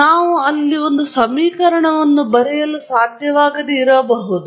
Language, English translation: Kannada, We may not be able to write an equation there